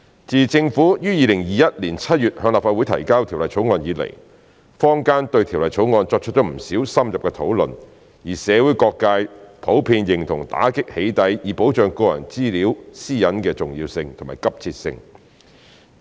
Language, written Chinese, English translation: Cantonese, 自政府於2021年7月向立法會提交《條例草案》以來，坊間對《條例草案》作出不少深入討論，而社會各界普遍認同打擊"起底"以保障個人資料私隱的重要性和急切性。, Since the Government introduced the Bill into the Legislative Council on July 2021 there has been more in - depth discussions on the Bill and the community generally recognizes the importance and urgency of combating doxxing in order to protect personal data privacy